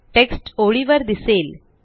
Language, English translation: Marathi, The text appears on the line